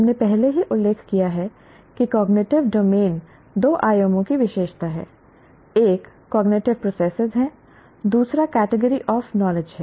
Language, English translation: Hindi, And what we have seen is cognitive domain has dimensions, cognitive processes, and knowledge categories